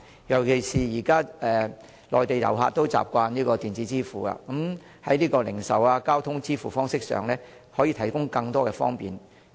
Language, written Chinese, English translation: Cantonese, 尤其是內地遊客現時已習慣採用電子支付方式，當局會否在零售和交通支付方式上為他們提供更多便利？, In particular now Mainland tourists are used to electronic payment . Will the authorities provide them with more convenience in respect of the means of payment for retail and transport services?